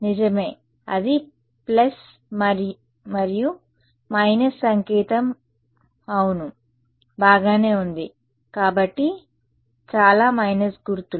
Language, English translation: Telugu, Right so, that became a plus and a minus sign yeah fine yeah right; so, too many minus sign